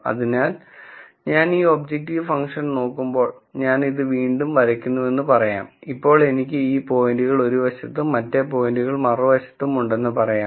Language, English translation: Malayalam, So, when I look at this objective function, let us say I again draw this and then let us say I have these points on one side and the other points on the other side